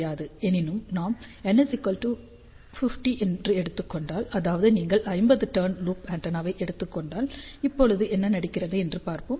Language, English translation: Tamil, However, if we take N equal to 50; that means, you take 50 turns loop antenna, let us see now what happens